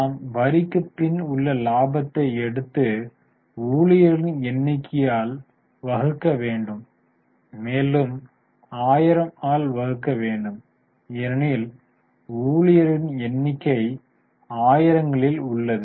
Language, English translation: Tamil, So, we are taking profit after tax and dividing it by number of employees and further dividing back 1,000 because number of employees